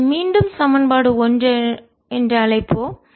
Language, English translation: Tamil, let's call it again equation one